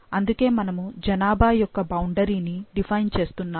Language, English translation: Telugu, So, we are defining the boundaries for the populations